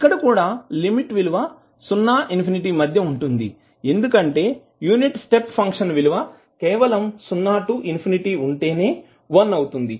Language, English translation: Telugu, Here also we will integrate between 0 to infinity because the unit step function is 1 only from 0 to infinity